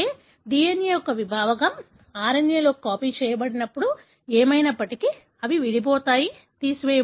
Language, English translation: Telugu, The segment of DNA, when copied into RNA, anyway they are spliced out, removed